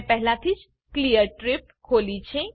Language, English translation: Gujarati, I have already opened Clear trip